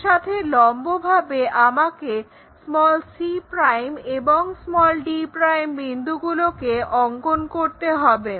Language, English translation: Bengali, Perpendicular to that I have to draw this other points like c' and d'